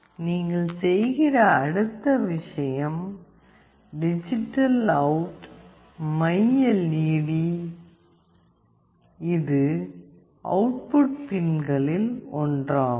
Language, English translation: Tamil, Then the next thing that you are doing is DigitalOut myLED , this is one of the output pins